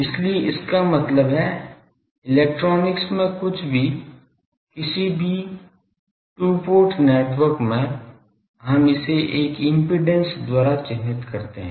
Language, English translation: Hindi, So; that means, anything in electronics any 2 port network; we characterize it by an impedance